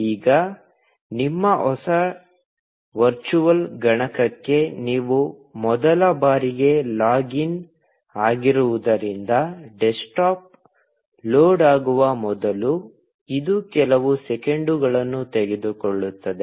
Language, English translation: Kannada, Now, since it is the first time that you are logging into your new virtual machine, it will take a few seconds before the desktop loads